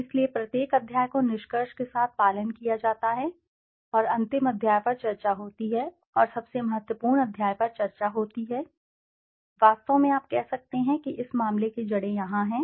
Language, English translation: Hindi, So every chapter is followed with conclusion and discussion the final chapter is the discussion and conclusion the most important chapter, in fact you can say the crux of the matter lies here